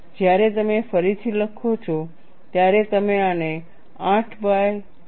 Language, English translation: Gujarati, When you rewrite, you can write this as pi by 8 as 0